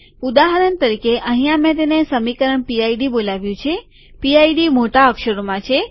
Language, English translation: Gujarati, For example, here I have called it equation PID, PID is in capitals